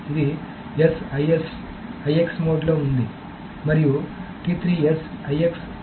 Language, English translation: Telugu, This is IS mode and this is IS mode